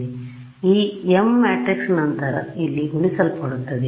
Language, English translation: Kannada, So, this m matrix will then get multiplied over here